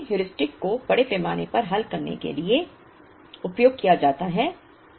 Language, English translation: Hindi, So, these Heuristics are used extensively to solve